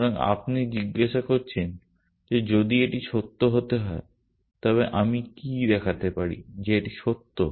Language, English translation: Bengali, So, you are asking that if this has to be true then can I show that this is true